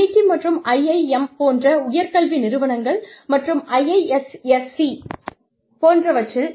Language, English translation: Tamil, At IIT, and institutes of higher education like the IIMs, and possibly IISC also